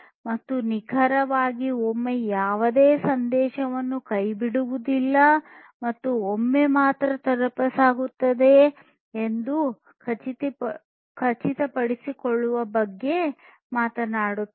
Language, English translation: Kannada, And, exactly once which talks about ensuring no message gets dropped and is delivered only once